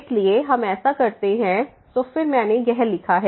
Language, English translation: Hindi, and therefore, we can apply so, again I have written down